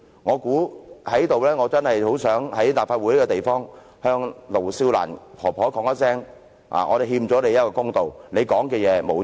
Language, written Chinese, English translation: Cantonese, 我真的很想在立法會這個地方，向盧少蘭婆婆說出這一段說話："我們欠你一個公道，你說的話並沒有錯。, I really wish to say the following lines to Madam LO Siu - lan in the Legislative Council We owe you a fair deal what you said is right